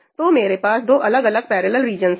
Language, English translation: Hindi, So, I have two different parallel regions